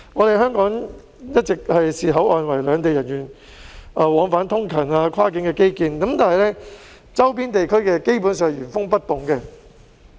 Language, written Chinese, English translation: Cantonese, 香港一直視口岸為兩地人員往返通勤的跨境基建，但周邊地區的設施基本上是原封不動的。, Hong Kong has all along regarded the boundary crossings as a cross - boundary infrastructure for commutes of people from both sides but the facilities in the surrounding areas basically remain untouched